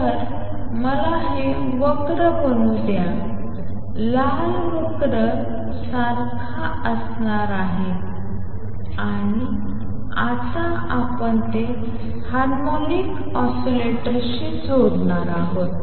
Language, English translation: Marathi, So, let me make this curve is red curve is going to be like e raise to minus A 21 t and now we will we are going to connect it with them harmonic oscillator